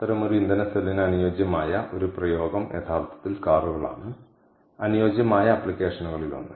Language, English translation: Malayalam, an ideal application for such a fuel cell is actually cars, one of the ideal applications